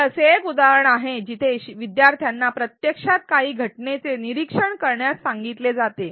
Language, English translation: Marathi, This is an example where learners are actually asked to articulate reasons for some phenomenon being observed